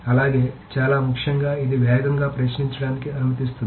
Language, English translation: Telugu, Also, very, very importantly, this can allow faster querying